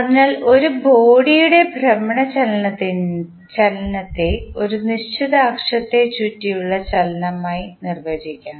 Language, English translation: Malayalam, So, the rotational motion of a body can be defined as motion about a fixed axis